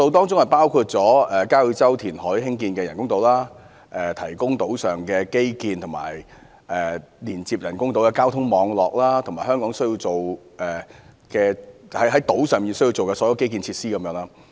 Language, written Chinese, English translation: Cantonese, 造價包括交椅洲填海興建的人工島、為島上提供基建及連接人工島的交通網絡，以及所有需要在島上興建的基建設施等。, The costs include building artificial islands on reclaimed land around Kau Yi Chau providing infrastructure and transportation network to connect the artificial islands and building all the necessary infrastructures etc